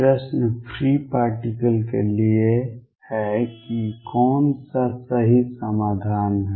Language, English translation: Hindi, The question is for free particles which one is the correct solution